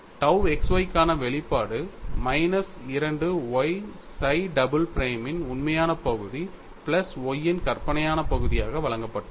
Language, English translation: Tamil, So, you have sigma x sigma y tau xy which is given as sigma x equal to 2 times real part of psi prime minus 2y times imaginary part of psi double prime minus real part of Y